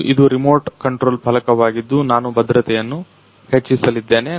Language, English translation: Kannada, And this is the remote controlled panel I am going to turn up the security